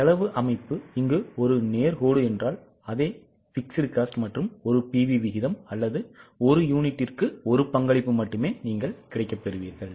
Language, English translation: Tamil, If the cost structure is a straight line, that is you have got same fixed cost and only 1 pv ratio or only one contribution per unit, then there will be only 1 BP